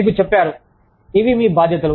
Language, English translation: Telugu, You are told, this is, these are your responsibilities